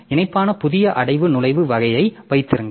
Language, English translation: Tamil, Have a new directory entry type which is link